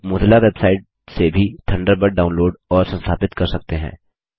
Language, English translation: Hindi, You can also download and install Thunderbird from the Mozilla website